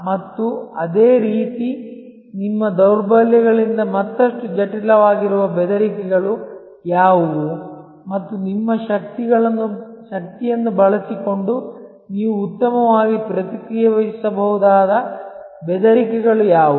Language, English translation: Kannada, And, similarly what are the threats, that are further complicated by your weaknesses and what are the threats that you can respond to well by using your strength